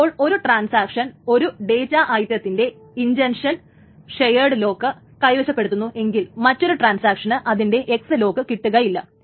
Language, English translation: Malayalam, That means that if a transaction is holding an intention shared lock on one data item, another transaction cannot get an X lock on it